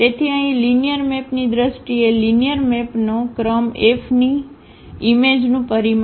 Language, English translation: Gujarati, So, here in terms of the linear map, the rank of a linear map will be the dimension of the image of F